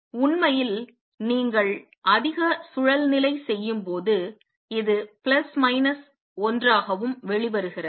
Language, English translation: Tamil, In fact, when you do the more recursive this is also comes out to be plus minus 1